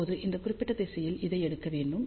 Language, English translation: Tamil, Now, this has to be taken along this particular direction